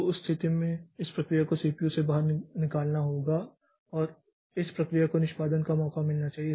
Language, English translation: Hindi, So, in that case this process has to be taken out of CPU and this process should get a chance for execution